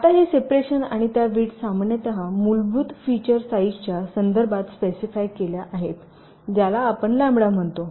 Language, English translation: Marathi, now, these separations and these width, these are typically specified in terms of the basic feature size we refer to as lambda